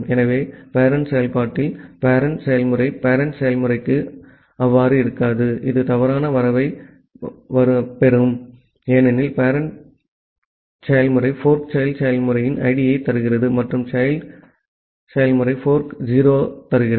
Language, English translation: Tamil, So, in the parent process the parent process will not so for the parent process, this will receive return false, because parent the parent process fork returns the ID of the child process and in the child process fork returns 0